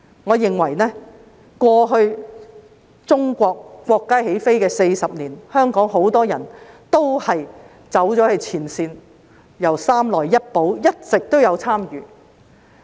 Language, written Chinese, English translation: Cantonese, 我認為在過去國家起飛40年中，香港很多人走到前線，由"三來一補"以來一直有參與。, In my view during the last 40 years of our countrys take - off many people of Hong Kong have been at the front line engaging themselves ever since the implementation of the three - plus - one trading mix